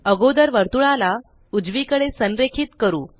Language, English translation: Marathi, First let us align the circle to the Right